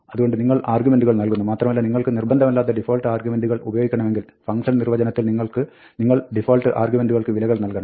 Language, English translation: Malayalam, So, you provide the arguments, and for the argument for which you want an optional default argument, you provide the value in the function definition